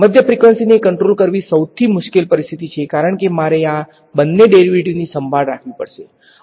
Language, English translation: Gujarati, Mid frequency is the most difficult situation to handle because I have to take care of both these derivatives ok